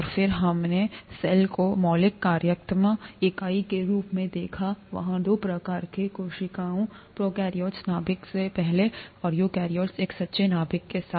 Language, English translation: Hindi, And then, we looked at the cell as the fundamental functional unit and there being two types of cells, prokaryotes, before nucleus, and eukaryotes, with a true nucleus